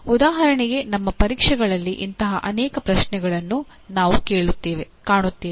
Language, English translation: Kannada, For example we come across many such questions in our tests and examinations